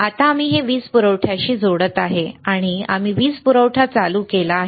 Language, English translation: Marathi, Now we are connecting this to the power supply, and we have switch on the power supply